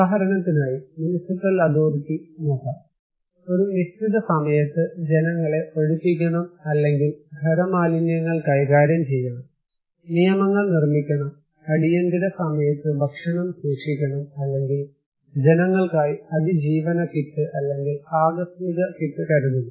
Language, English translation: Malayalam, let us say, municipal authority, they ask people to follow something like you have to evacuate during certain time or you have to manage your solid waste, you have to follow building bye laws, you have to store food during emergency, or you have to keep survival kit, or contingency kit like that